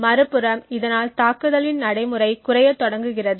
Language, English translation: Tamil, On the other hand, the practicality of the attack starts to reduce